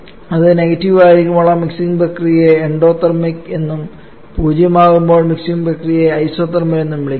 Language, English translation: Malayalam, Whereas when it is negative we call that mixing process to be endothermic and when that is zero then we call the mixing process to be isothermal